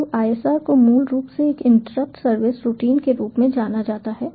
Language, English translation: Hindi, so isr is basically known as an interrupt service routine